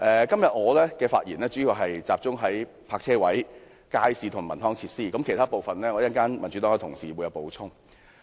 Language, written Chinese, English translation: Cantonese, 今天，我的發言主要集中討論泊車位、街市和文康設施，民主黨其他議員稍後會就其他部分作出補充。, Today I will mainly discuss parking spaces markets as well as cultural and leisure facilities while other Members of the Democratic Party will discuss other parts later